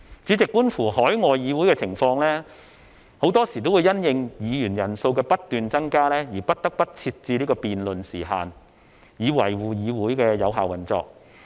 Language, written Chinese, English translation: Cantonese, 主席，觀乎海外議會的情況，很多時候也會因應議員人數的不斷增加而不得不設置辯論時限，以維護議會的有效運作。, President in order to maintain effective operation overseas legislatures are also left with no choice but to set a speaking time limit on their debates when their numbers of members continue to increase